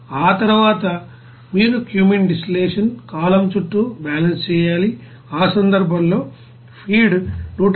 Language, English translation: Telugu, After that, you have to do the balance around cumene distillation column, in that case the feed will be 178